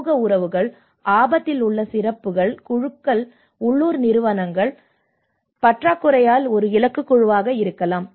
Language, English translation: Tamil, Social relationships, special groups at risk maybe a target groups, lack of local institutions